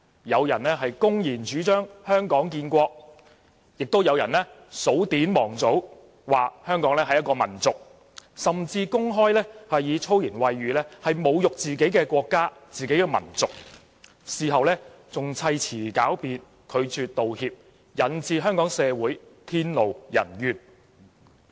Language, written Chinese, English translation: Cantonese, 有人公然主張"香港建國"，亦有人數典忘祖，說香港是一個民族，甚至公開以粗言穢語侮辱自己的國家和民族，事後還砌詞狡辯，拒絕道歉，引致天怒人怨。, Some openly advocate establishing Hong Kong as a country and some have forgotten totally about history and traditions saying that Hong Kong is a nation and they have even openly humiliated their country and nation using foul language . Later they made up all kinds of excuses and refused to apologize causing an uproar